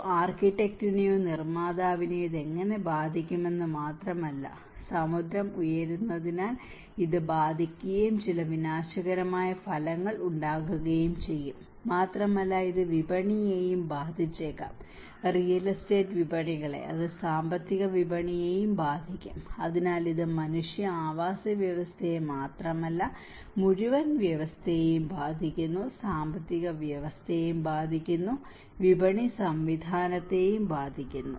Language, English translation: Malayalam, And not only that it will also how it will affect an architect or a builder, it will affect because the ocean is rising and it will have some disastrous effects, and it may also affect the markets; the real estate markets, it will also affect the financial markets so, there has been it is not just only about affecting the human habitat but the whole system, the economic system also is affected, the market system is also affected